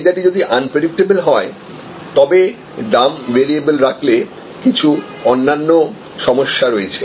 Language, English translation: Bengali, If the demand is unpredictable, then variable pricing has certain other problems